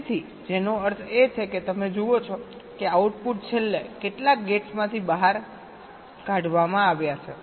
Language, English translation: Gujarati, so which means, you see, the outputs are finally taken out from some gates